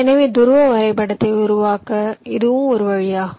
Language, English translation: Tamil, ok, so this is also one way to construct the polar graph now